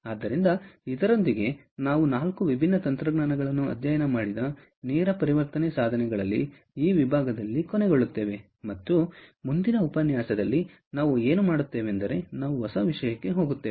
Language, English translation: Kannada, so with that, we come to an end on this section on direct conversion devices, where we studied four different technologies, and in the next lecture what we will do is we will move on to a new topic